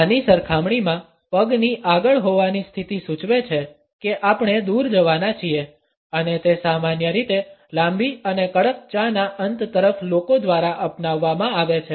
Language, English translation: Gujarati, In comparison to this, the foot forward position suggest that we are about to walk away and it is normally adopted by people towards the end of a rather long and tough tea